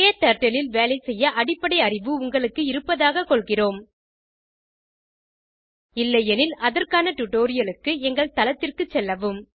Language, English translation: Tamil, We assume that you have basic working knowledge of KTurtle If not, for relevant tutorials, please visit our website